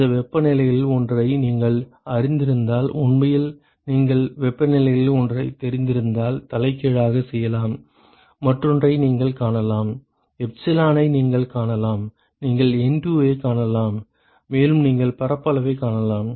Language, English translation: Tamil, If you know one of these temperatures, you can actually use you can do the reverse if you know one of the temperatures, you can find the other one you can find epsilon you can find it you can find the NTU, and you can find the area